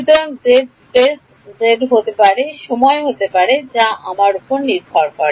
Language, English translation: Bengali, So, the z can be space z can be time which is up to me right